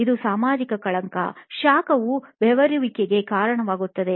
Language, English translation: Kannada, This is a social stigma, heat causes perspiration